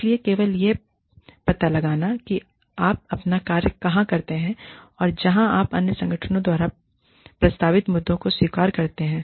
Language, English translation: Hindi, So, just finding out, where you do your own work, and where you accept the issues, proposed by the other organization